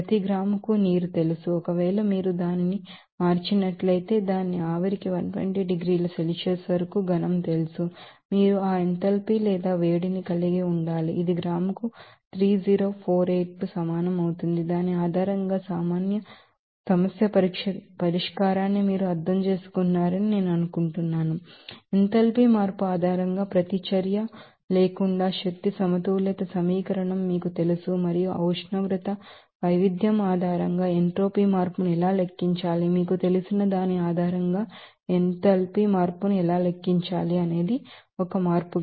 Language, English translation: Telugu, So, per gram of you know water, if you change it is you know solid to its vapour up to 120 degrees Celsius, you need to have that enthalpy or heat it will be equal to 3048 joule per gram, I think you have understood the problem solving based on that, you know energy balance equation without reaction based on the enthalpy change and how to calculate the entropy change based on that temperature variation, how to calculate the enthalpy change based on you know, a change